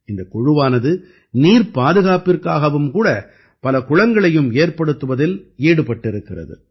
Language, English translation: Tamil, This team is also engaged in building many ponds for water conservation